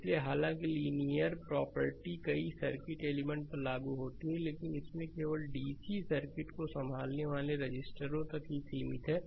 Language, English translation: Hindi, So, although linear property applies to many circuit elements right, but in this chapter, we will restrict it to the registers only because we have handling only dc circuit